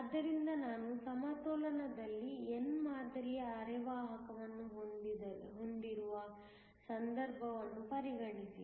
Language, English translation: Kannada, So, consider a case where I have a n type semiconductor in equilibrium